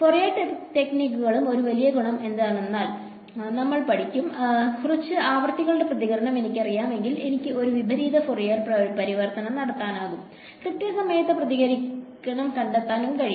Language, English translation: Malayalam, So, Fourier techniques we will study them what is the one great advantage of Fourier techniques is, if I know the response for a few frequencies I can do an inverse Fourier transform and find out the response in time